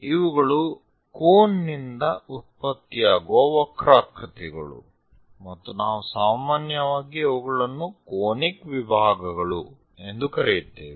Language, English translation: Kannada, These are the curves generated from a cone, and we usually call them as conic sections